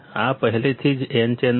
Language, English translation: Gujarati, This already n channel is there